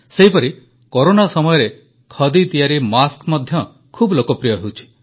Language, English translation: Odia, Similarly the khadi masks have also become very popular during Corona